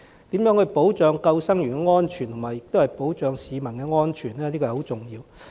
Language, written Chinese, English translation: Cantonese, 因此，如何保障救生員的安全，又同時保障市民的安全，這是十分重要的。, Hence it is very important to protect the safety of both the lifeguards and the public